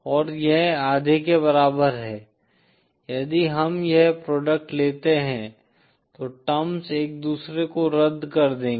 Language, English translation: Hindi, And this is equal to half; the terms will cancel each other if we take this product